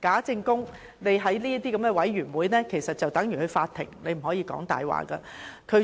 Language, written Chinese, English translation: Cantonese, 在這類委員會的會議上作證，其實等同上法庭，不可以說謊。, To testify at meetings of the Commission of Inquiry is tantamount to testifying in court . Telling lies is not allowed